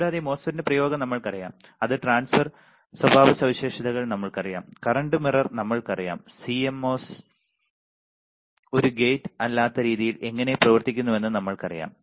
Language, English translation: Malayalam, We know and n MOSFET we knows the application of MOSFETs right, it is drain characteristics we know the transfer characteristics, we know the current mirror, we know how CMOS works at least as a not gate right